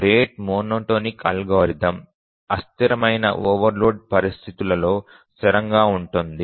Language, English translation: Telugu, The rate monotonic algorithm is stable under transient overload conditions